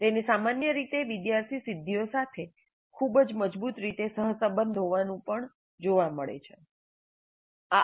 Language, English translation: Gujarati, And it is also found to be generally correlated most strongly to student achievement compared to any other action that the instructor can take